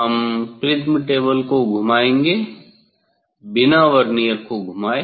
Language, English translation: Hindi, So; prism table have two option you can rotate the prism table with Vernier